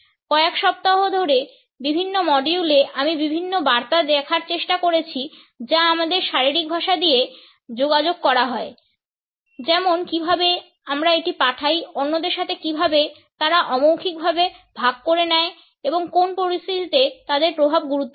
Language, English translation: Bengali, Over the weeks in different modules I have try to look at different messages which are communicated through our body language how we do send it; how they are shared in a nonverbal manner with others and under what circumstances their impact matters